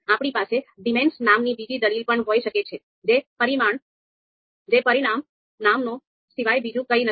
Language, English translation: Gujarati, Then we can also have another argument called dimnames, which is nothing but dimension names